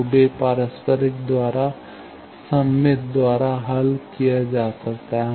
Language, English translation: Hindi, So, they can solved by symmetric by reciprocal